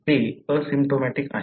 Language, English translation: Marathi, They are asymptomatic